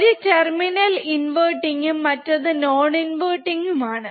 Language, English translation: Malayalam, So, one is at inverting terminal one is a non inverting terminal